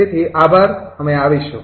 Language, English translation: Gujarati, so, thank you, we will come